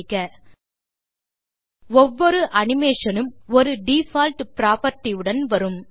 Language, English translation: Tamil, Each animation comes with certain default properties